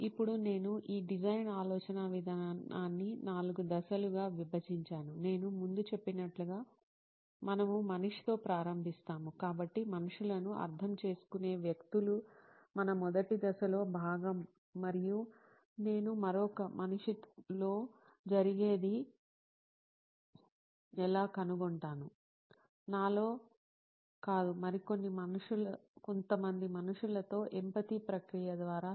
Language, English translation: Telugu, Now, how I split this design thinking process is into four steps, like I said before, like I remarked before, we start with the human, so people understanding people is part and parcel of our first step and how do I find out what is going on in another human being, not in myself, but in some other human being is through the process of empathy